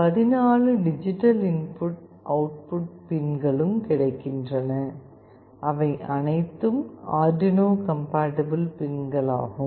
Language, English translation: Tamil, 14 digital input output pins are available, which are all Arduino compatible pins